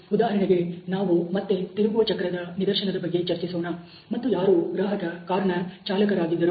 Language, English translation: Kannada, For example, let us go back to the case of the steering wheel and the customer who is the driver of the car